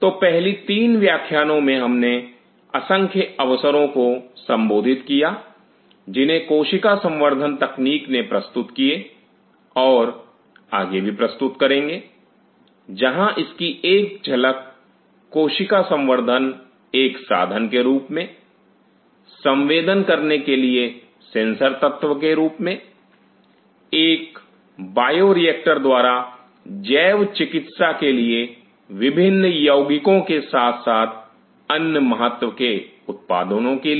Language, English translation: Hindi, So, during the first 3 class we have dealt with the myriad of opportunities which cell culture technology has offered and will be offering in future, were a glance of it using cell culture as a tool for sensing as a sensor element as a bioreactor to produce different kind of compounds of biomedical as well as other significance